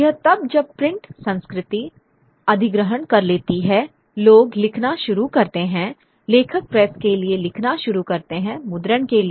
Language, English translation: Hindi, It's only then when the print culture takes over that people start writing, authors start writing for the press, for printing